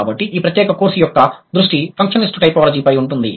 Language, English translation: Telugu, So, for this particular course, our focus is going to be functional typology